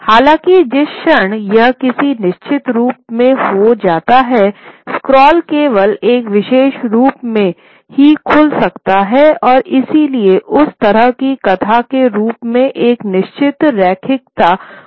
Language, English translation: Hindi, However, the moment it gets into some kind of a fixed form, the scroll can only open in one particular way and therefore that sort of fixes a certain linearity to the narrative form